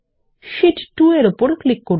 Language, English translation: Bengali, Lets click on Sheet2